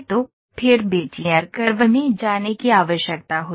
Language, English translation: Hindi, So, then came the need for going into Bezier curve ok